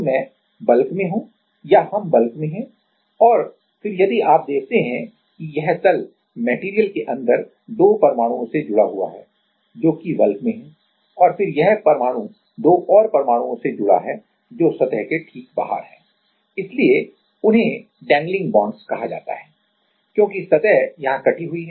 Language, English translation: Hindi, So, I am at the bulk or we are at the bulk and then if you see that this plane like this plane is connected to 2 atoms inside the inside the material which is at the inside the bulk right and then this atom is connected to two more atoms which are at the out of the surface right So, those are called dangling bonds, because surface is cut here